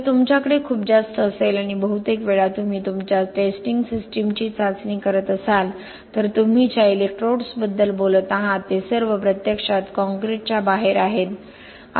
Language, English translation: Marathi, If you have very high and most of the time when you do the testing your testing systems are kept here outside the, or the electrodes which you talk about it as all actually outside the concrete